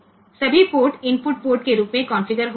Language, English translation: Hindi, So, all ports will get initialized as input port